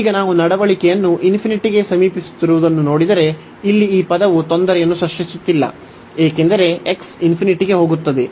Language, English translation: Kannada, And now if we look at the behavior as approaching to infinity, so this term here is not creating trouble, because x goes to infinity this is 1